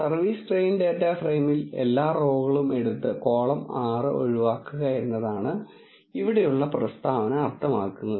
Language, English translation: Malayalam, The statement here means that in the service train data frame take all the rows and exclude column 6 that is what it says